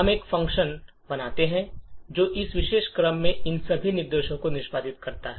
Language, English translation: Hindi, We build a function that executes all of these instructions in this particular sequence